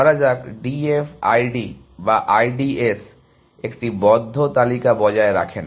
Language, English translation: Bengali, Let us say, D F I D or I D S are without maintaining a close list